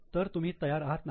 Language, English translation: Marathi, So, are you prepared